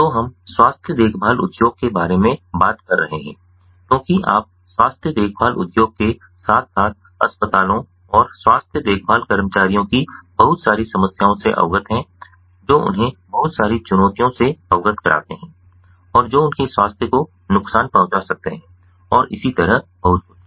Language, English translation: Hindi, so, whether we are talking about the health care industry because you know, in the health care industry as well, in the hospitals and health care workers, they are exposed to lot of problems, they are exposed to lot of ah, ah challenges and which can harm their health, and so on